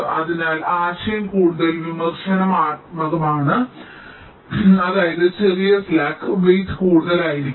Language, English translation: Malayalam, so the idea is that the more critical the net that means smaller slack the weight should be greater